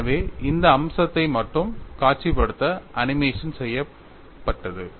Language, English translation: Tamil, So, in order to visualize that aspect only the animation was done